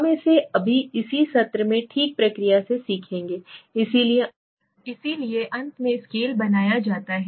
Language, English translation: Hindi, We will learn it in the process right now okay in this session, so finally the scale is made okay